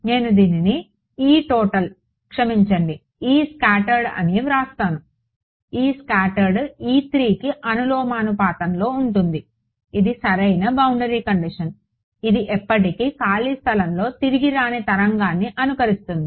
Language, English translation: Telugu, Let me write it as this E total sorry E scattered; E scattered is proportional to this is the correct boundary condition, this is what simulates a wave not coming back going on forever free space